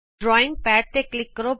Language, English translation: Punjabi, Click on the drawing pad